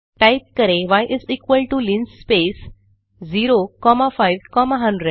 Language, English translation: Hindi, Then y is equal to linspace within brackets 0 comma 5 comma 100